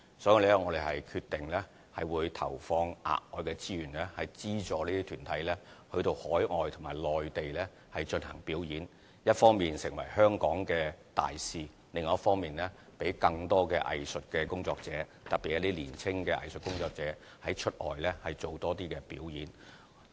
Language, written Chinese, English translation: Cantonese, 所以，我們決定投放額外的資源，資助這些團體到海外及內地進行表演，一方面成為香港的大使，另一方面讓更多藝術工作者，特別是年青的藝術工作者出外多做表演。, We thus decide to inject additional resources to subsidize these art groups in staging performances overseas and in the Mainland so that they can serve as ambassadors for Hong Kong while more artists especially young artists can have more opportunities to perform outside Hong Kong